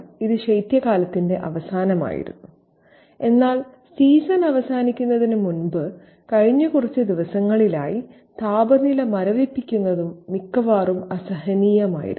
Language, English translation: Malayalam, But for the last few days before the season came to a close, the temperature was freezing and almost unbearable